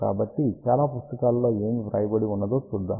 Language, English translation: Telugu, So, let us see what most of the books write